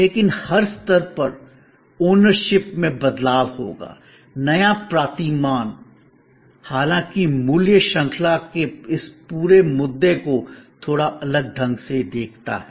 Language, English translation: Hindi, But, at every stage there will be a change of ownership, the new paradigm however looks at this whole issue of value chain a little differently